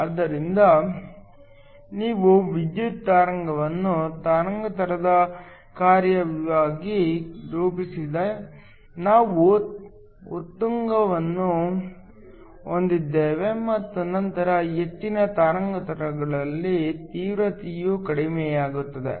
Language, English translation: Kannada, So, If we plot the power spectrum as a function of wavelength, we have a peak and then the intensity decreases at higher wavelengths